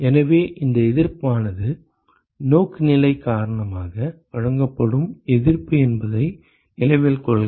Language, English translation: Tamil, So, note that this resistance is the resistance offered because of orientation